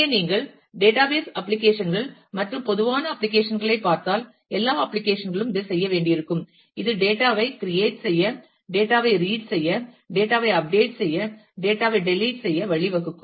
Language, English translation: Tamil, So, if you look at database applications and common applications will all applications will at least need to do this it lead to create data, read data, update data, delete data